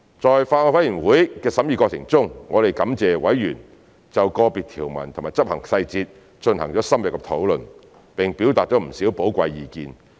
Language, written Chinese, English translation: Cantonese, 在法案委員會的審議過程中，我們感謝委員就個別條文及執行細節進行了深入的討論，並表達了不少寶貴意見。, During the scrutiny by the Bills Committee we thank committee members for their detailed discussions and valuable opinions on individual provisions and implementation details